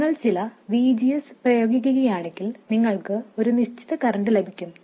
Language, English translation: Malayalam, If you apply a certain VGS you will get a certain current